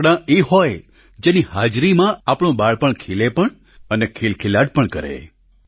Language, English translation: Gujarati, Toys should be such that in their presence childhood blooms and smiles